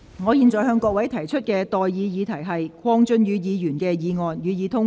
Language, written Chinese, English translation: Cantonese, 我現在向各位提出的待議議題是：鄺俊宇議員動議的議案，予以通過。, I now propose the question to you and that is That the motion moved by Mr KWONG Chun - yu be passed